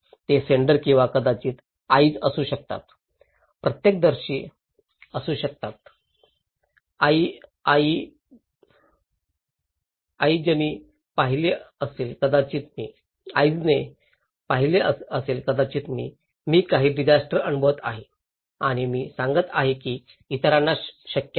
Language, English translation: Marathi, They could be senders or maybe eye, eyewitness, eye watched maybe I, I am experiencing some disaster and I am conveying that relaying that to others it is possible